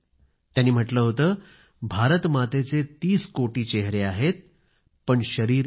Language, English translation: Marathi, And he said that Mother India has 30 crore faces, but one body